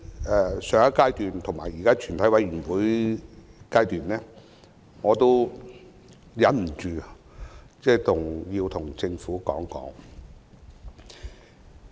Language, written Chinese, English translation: Cantonese, 在上一階段及現時全體委員會審議階段，我都忍不住有說話要對政府說。, At both the last stage and the present Committee stage I could not and cannot hold myself back from saying a few words to the Government